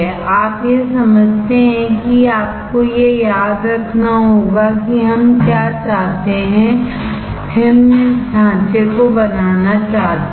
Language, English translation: Hindi, You understand this you have to remember what we want is this structure; we want to want to have this structure